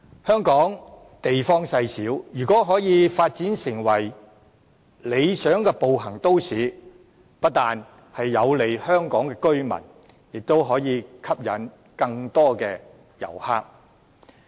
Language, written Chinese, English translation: Cantonese, 香港地方細小，如果可以發展成為理想的步行都市，不但有利香港居民，也可以吸引更多旅客。, If Hong Kong a small place as it is can develop into a metropolis ideal for walkers not only will the locals be benefited it will also be an appeal to more tourists